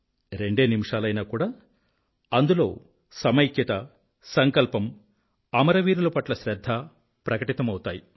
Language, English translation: Telugu, This 2 minutes silence is an expression of our collective resolve and reverence for the martyrs